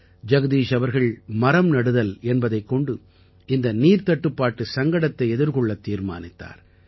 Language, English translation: Tamil, Jagdish ji decided to solve the crisis through tree plantation